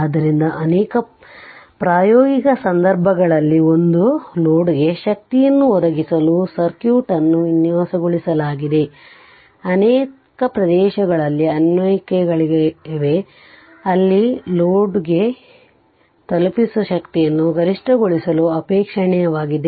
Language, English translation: Kannada, So, the in many practical cases a circuit is designed to provide power to a load, there are applications in many areas, where it is desirable to maximize the power delivered to the load right